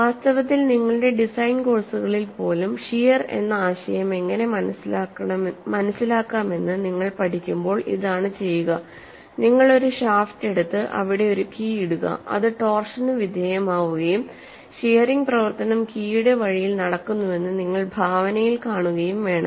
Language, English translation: Malayalam, See in fact, even in your design courses when you develop how to understand the concept of shear, suppose you take a shaft and put a key there and put a key there which is subjected to torsion and you want to visualize that shearing action takes place on the key way